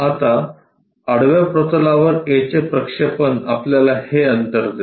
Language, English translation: Marathi, Now, projection of a capital A on to horizontal plane gives us this distance